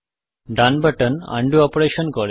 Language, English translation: Bengali, The right button does an undo operation